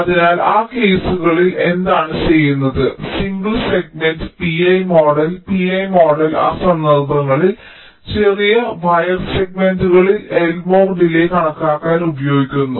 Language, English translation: Malayalam, so what is done for those cases is that single segment pi model pi model is used for estimating the l more delay in those cases, short wire segment s